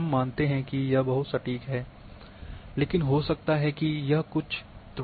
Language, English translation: Hindi, We assume that it is very accurate, but may not be it might be having some errors